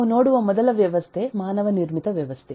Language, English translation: Kannada, so the first system we take a look at is a man made system